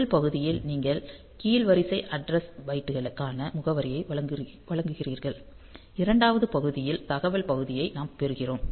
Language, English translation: Tamil, So, in the first part you provide the address for the lower order address byte and in the second part, we get the data part